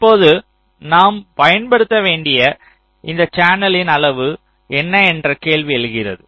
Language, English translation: Tamil, now the question arises that what is the size of this channel we need to use